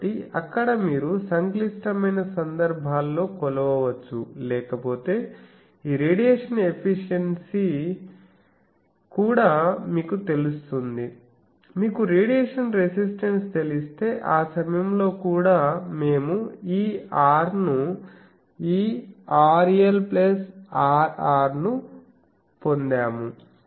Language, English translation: Telugu, So, there you can measure in those complicated cases otherwise these radiation efficiency also, if you know the radiation resistance then that time also we have derived this R r that this R L plus R r